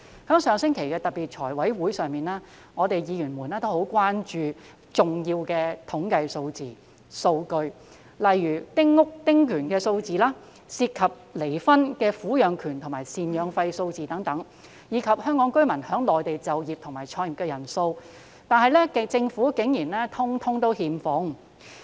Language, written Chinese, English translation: Cantonese, 在上星期的財務委員會特別會議上，議員很關注一些重要的統計數字和數據，例如丁屋和丁權的數字，涉及離婚的撫養權及贍養費數字，以及香港居民在內地就業和創業的人數，但政府竟然全部欠奉。, At the special meeting of the Finance Committee held last week Members expressed concern about some important statistical figures and data eg . figures on small houses and small house concessionary rights custody and maintenance payments involving divorce and the number of Hong Kong residents working and starting up businesses in the Mainland . However the Government could provide none of them